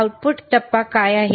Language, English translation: Marathi, What is the output phase